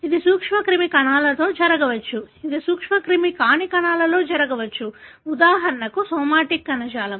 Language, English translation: Telugu, It can happen in the germ cells, it can happen in non germ cells, for example somatic tissue